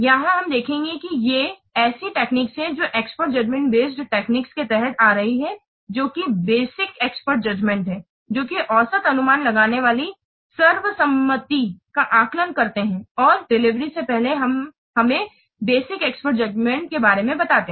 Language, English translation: Hindi, Here we will see these are the techniques which are coming under expert judgment based techniques, that is basic expert judgment, weighted average estimating, consensus estimating and delivery